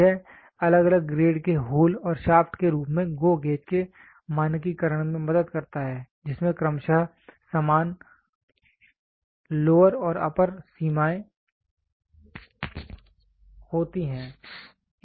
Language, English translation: Hindi, This helps in standardization of GO gauge as hole and shaft of different grades which have the same lower and upper limits respectively